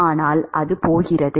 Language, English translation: Tamil, But is there